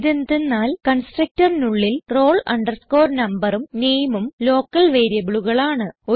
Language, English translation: Malayalam, This is because in the constructor roll number and name are local variables